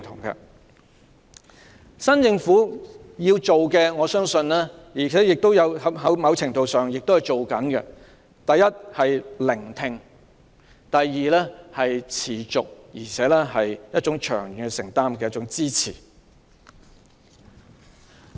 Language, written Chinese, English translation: Cantonese, 我相信政府要做的事——在某程度上，工作已在進行中——第一，是聆聽；及第二，是持續及有長遠承擔的支持。, I believe the work this Government should do to a certain extent the work has already been in progress first is to listen; and second is to provide sustainable support with a long - term commitment